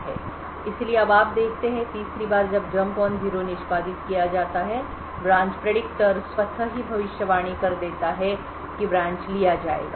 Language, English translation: Hindi, So, now you see that the 3rd time when that a jump on no zero gets executed the branch predictor would automatically predict that the branch would be taken